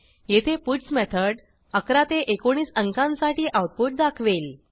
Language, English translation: Marathi, The puts method here will display the output for numbers 11 to 19